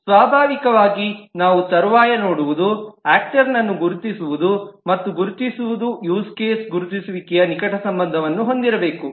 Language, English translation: Kannada, Naturally, what we will see subsequently is the identification of actor and the identification of use case will have to be closely related